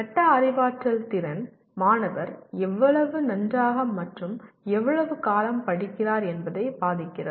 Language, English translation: Tamil, Metacognitive ability affects how well and how long the student study